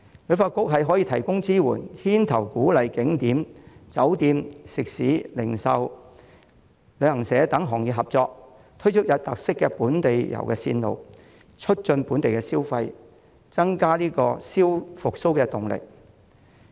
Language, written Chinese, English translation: Cantonese, 旅發局可以提供支援，牽頭鼓勵景點、酒店、食肆、零售、旅行社等行業合作，推出有特色的本地遊路線，促進本地消費，增加復蘇的動力。, HKTB can offer assistance and take the lead in encouraging such sectors as tourist attractions hotels restaurants retail stores and travel agents to jointly launch local tour itineraries with unique characteristics so as to promote domestic consumption and gain more momentum for recovery